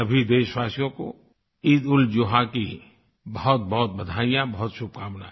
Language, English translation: Hindi, Heartiest felicitations and best wishes to all countrymen on the occasion of EidulZuha